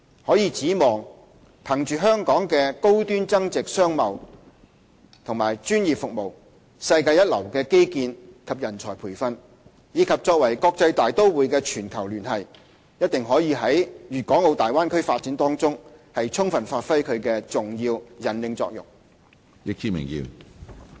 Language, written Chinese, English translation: Cantonese, 可以指望，憑着香港的高端增值商貿和專業服務、世界一流的基建和人才培訓，以及作為國際大都會的全球連繫，一定可以在大灣區發展中充分發揮其重要引領作用。, We hope that riding on Hong Kongs high value - added trade and professional services world - class infrastructure and manpower development as well as the global connectivity of an international metropolis Hong Kong will play an important leading role in the Bay Area development